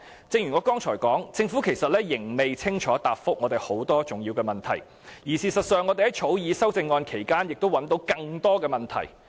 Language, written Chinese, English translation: Cantonese, 正如我剛才所說，政府其實仍未清楚答覆我們很多重要的問題。事實上，我們在草擬修正案期間發現更多問題。, As I said earlier the Government has still not clearly answered many of our important questions and we have actually identified more problems when drafting the amendments